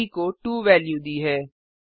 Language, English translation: Hindi, b is assigned the value of 2